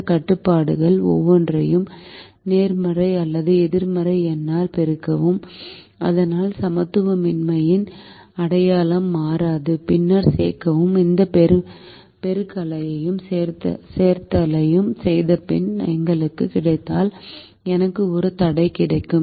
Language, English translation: Tamil, rather than taking one constraint at a time, can i take multiple constraints at a time, multiply each of these constraints by a positive or a non negative number, so that the sign of the inequality does not change, and then add, and after doing this multiplication and addition, if i get us, i will get a single constraint